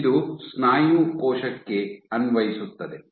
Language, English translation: Kannada, So, this is for a muscle cell